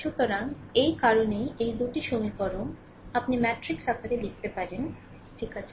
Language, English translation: Bengali, So, that is why this your this 2 equations, you can write in the matrix form, right